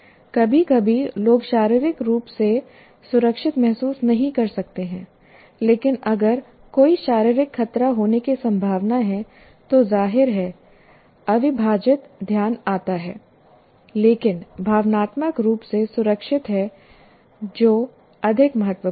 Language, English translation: Hindi, If sometimes people may physically may not feel safe, but if there is a physical, likely to be a physical threat, obviously the entire attention goes, but emotionally secure